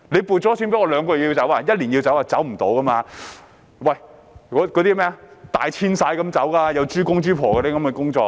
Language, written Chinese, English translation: Cantonese, 搬遷豬場就像動物大遷徙般，要搬遷豬公、豬婆，有很多工作要做。, Relocation of pig farms is like animal emigration . Relocating male and female pigs involves a lot of work